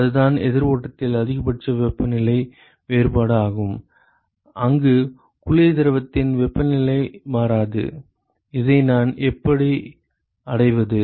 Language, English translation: Tamil, That is the maximum possible temperature difference in a counter flow, where the temperature of the cold fluid does not change, how can I achieve this